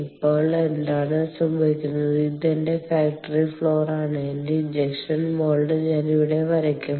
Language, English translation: Malayalam, now what happens is that i have, let me say, this is my factory, factory floor, and i would draw, here is my injection mold